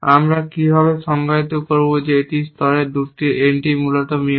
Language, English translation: Bengali, How do we define that two entries in a layer are Mutex essentially